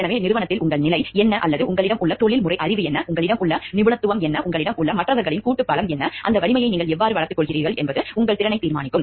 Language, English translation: Tamil, So, what is your position in the organization or what is the professional knowledge that you have, what is the expertise that you have, what is the collective strength of support of others that you have and how do you develop that strength will determine your capability